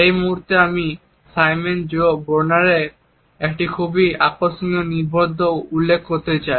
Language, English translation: Bengali, At this point I would like to refer to a very interesting article by Simon J